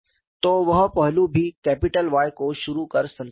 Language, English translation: Hindi, So that aspect was also satisfied by introducing capital Y that was the success